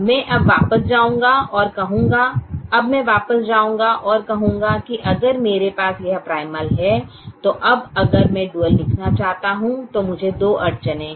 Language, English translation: Hindi, now i will go back and say that if i have this primal, now if i want to right the dual, the primal has two constraints